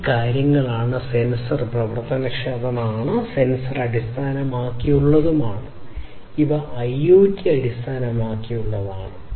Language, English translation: Malayalam, And these things could be, you know, sensor enabled, you know, sensor based let us say that these are IoT based right